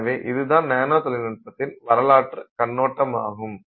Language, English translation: Tamil, So, that's the overview of the history of nanotechnology